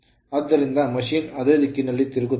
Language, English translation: Kannada, So, machine will rotate in the same direction right